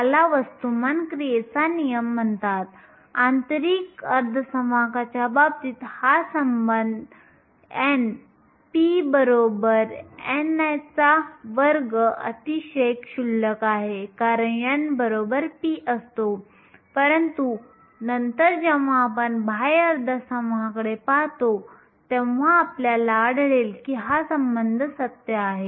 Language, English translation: Marathi, This is called the law of mass action, in the case of an intrinsic semiconductor, this relation n p equal to n i square is very trivial because n is equal to p, but later when we look at extrinsic semiconductors, we will find that this relation is true